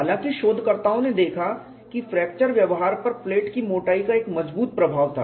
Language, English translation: Hindi, However researches have noticed that the thickness of the plate had a strong influence on fracture behavior